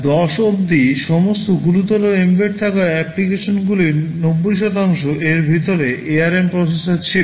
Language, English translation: Bengali, Till 2010, 90 percent % of all serious embedded applications hads this kind of ARM processors inside them